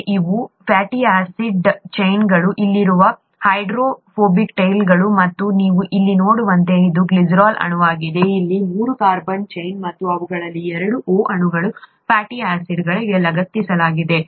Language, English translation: Kannada, These are the fatty acid chains, the hydro, hydrophilic, hydrophobic, it should be hydrophobic here; hydrophobic tails that are here and this is the glycerol molecule as you can see here, the three carbon chain here and two of those O molecules are attached to the fatty acid